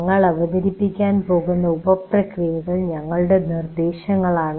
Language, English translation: Malayalam, The sub processes we are going to present are our suggestions